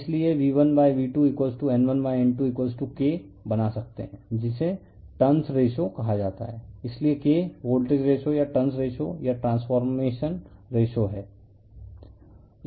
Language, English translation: Hindi, Therefore, we can make V1 / V2 = N1 / N2 = K that is called turns ratio therefore, K is the voltage ratio or turns ratio or transformation ratio